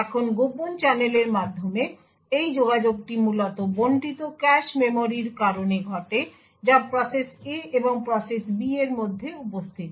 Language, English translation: Bengali, Now this communication through the covert channel is essentially due to the shared cache memory that is present between the process A and process B